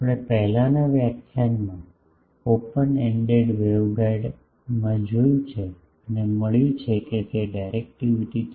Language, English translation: Gujarati, We have seen in the previous lecture, the open ended waveguide and found that it is directivity is 3